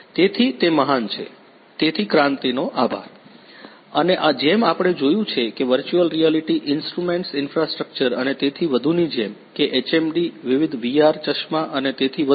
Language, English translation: Gujarati, So, that is great ;so thank you Kranti and as we have seen that with the help of virtual reality instruments infrastructure and so on like the HMD, the different VR glasses and so on